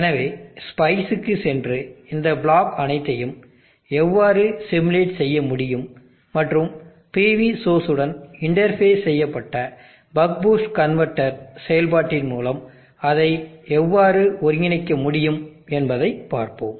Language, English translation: Tamil, So let us go to spice and see how we will be able to simulate all these block and integrate it with the operation of the buck boost converter interface with the PV source